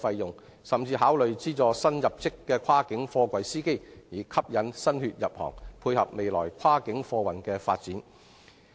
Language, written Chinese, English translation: Cantonese, 政府甚至可考慮向新入職的跨境貨櫃司機提供資助，以吸引新血入行，配合未來跨境貨運的發展。, In order to dovetail with the future development of cross - boundary freight transport the Government may even consider subsidizing newly recruited cross - boundary container truck drivers to attract new blood into the trade